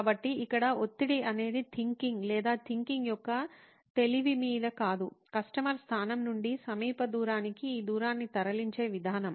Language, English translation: Telugu, So here the stress is not on the idea or the cleverness of the idea but the approach in moving this far distance from customer location to near distance from customer location